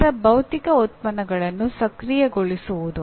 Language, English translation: Kannada, Then activating the physical outputs